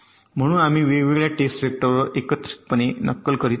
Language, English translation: Marathi, so we are simulating with different test vectors together